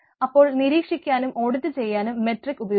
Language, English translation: Malayalam, so the metric for monitoring and auditing